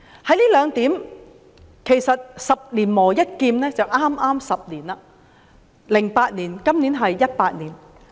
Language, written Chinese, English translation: Cantonese, 在這兩方面，其實是"十年磨一劍 "，2008 年至今2018年，剛好是10年。, In these two aspects it can be likened to sharpening a sword for ten years . This is the year 2018 so it is exactly 10 years since 2008